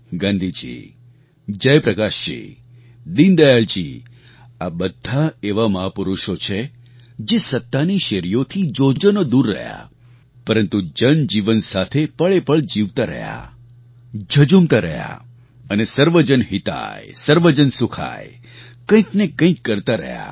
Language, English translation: Gujarati, Gandhiji, Jai Prakashji, Deen Dayalji were such great personalities who remained far away from the corridors of power but lived every moment for the people, kept fighting all odds following the principle "Sarv Jan Hitay Sarv Jan Sukhay", they kept endeavouring tirelessly